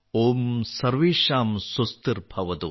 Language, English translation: Malayalam, Om Sarvesham Swastirbhavatu